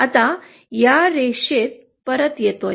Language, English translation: Marathi, Now coming back to this line